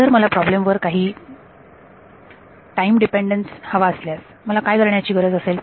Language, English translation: Marathi, If I wanted to have some time dependence on the problem, what would I need to do